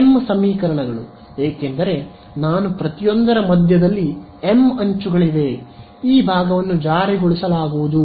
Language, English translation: Kannada, m equations because there are m edges at the center of each I am enforcing this side